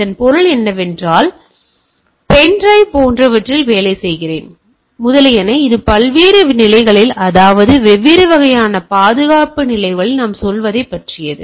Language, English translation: Tamil, And so that means, and I go on working with the things put pen drive etcetera, etcetera it go on what we say at different level of or different type of security states, right